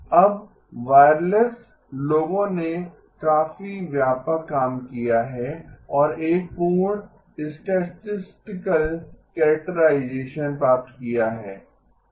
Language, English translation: Hindi, Now the wireless people have done a fairly extensive work and have obtained a complete statistical characterization